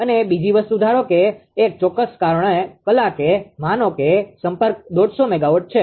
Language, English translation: Gujarati, So, e and second thing is suppose at a particular hour suppose contact is one 50 megawatt